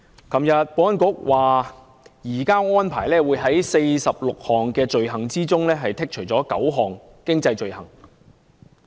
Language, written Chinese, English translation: Cantonese, 昨天保安局表示，移交安排所涵蓋的46項罪類中，有9項經濟罪類將予剔除。, According to the Security Bureau yesterday nine items of economic offences will be exempted from the 46 items of offences covered by the extradition arrangements